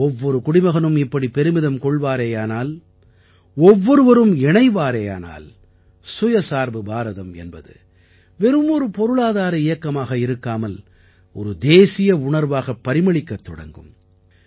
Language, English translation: Tamil, When every countryman takes pride, every countryman connects; selfreliant India doesn't remain just an economic campaign but becomes a national spirit